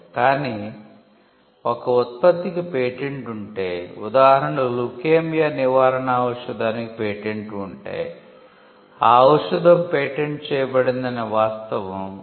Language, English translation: Telugu, But if a product is patented, say a cure for leukaemia and there is a drug that is patented which can cure leukaemia